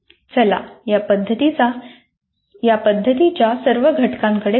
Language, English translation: Marathi, Let us look at all the elements of this